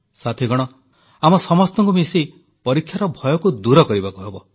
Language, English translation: Odia, Friends, we have to banish the fear of examinations collectively